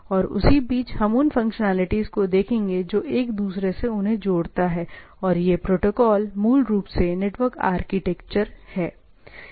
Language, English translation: Hindi, And in between to, what this tie up these functionalities and these protocols is basically the network architecture